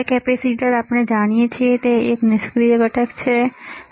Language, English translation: Gujarati, Now, capacitor as we know it is a passive component, right